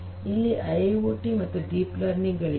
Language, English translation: Kannada, We have IIoT, we have IIoT and we have deep learning